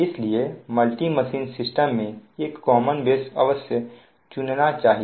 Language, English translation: Hindi, so in a multi machine system, a common system base must be selected